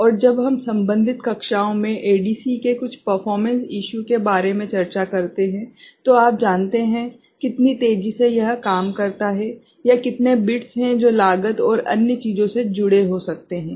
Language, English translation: Hindi, And when we discuss certain performances of ADC in the earlier classes regarding, how fast you know, it works or how many bits that can be associated with cost and other things